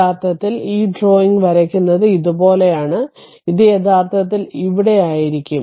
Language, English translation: Malayalam, So, actually drawing this drawing is little bit like this, it will be actually here right